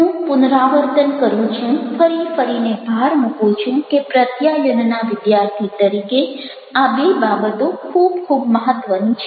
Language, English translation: Gujarati, i am repeating, emphasizing again and again that, as a student of communication, these two things are very, very important